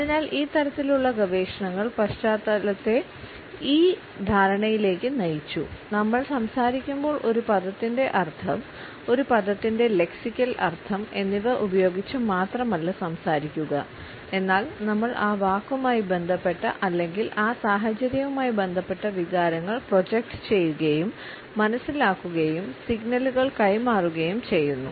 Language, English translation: Malayalam, So, these type of researchers led the background to this understanding that when we speak we do not only voice the content projected by the meaning, the lexical meaning of a word but we also project and understanding or we pass on signals related with the emotions and feelings associated with that word or with that situation